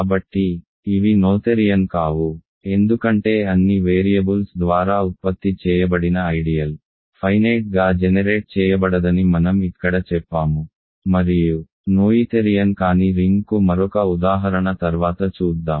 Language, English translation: Telugu, So, these are not noetherian, because I have said here that the ideal generated by all the variables is not finitely generated and we will see one more example of a non noetherian ring later